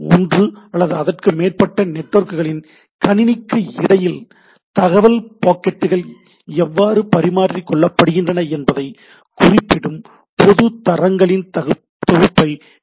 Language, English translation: Tamil, TCP/IP presents a set of public standards that specify how packets of information are exchanged between the computer of one or more networks right